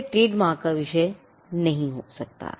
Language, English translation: Hindi, It cannot be a subject matter of a trademark